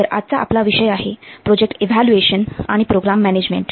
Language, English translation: Marathi, So today's topic is project evaluation and program management